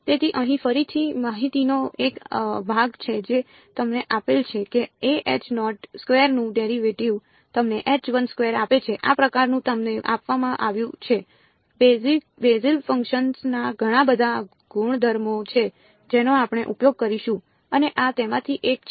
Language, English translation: Gujarati, So, here is again piece of information fact its given to you that the derivative of a Hankel 2 gives you Hankel 1 this is sort of given to you right there are many many properties of Bessel functions which we will use as we go and this is one of them